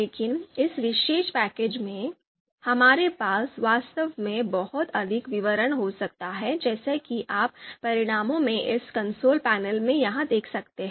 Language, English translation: Hindi, So, but in this particular package, we can we can actually have much more details as you can see here in this console panel in the results